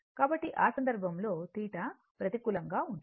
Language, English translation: Telugu, So, in that case theta is negative right